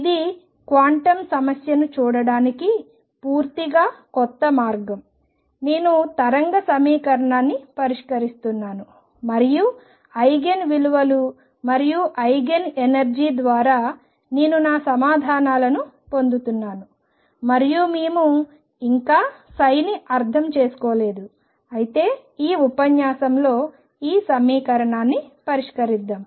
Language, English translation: Telugu, So, this is a completely new way of looking at the quantum problem I am solving a wave equation and through the Eigen values and Eigen energy is I am getting my answers and we yet to interpret psi, but let us solve in this lecture this equation for another one dimensional problem that we already know the answer of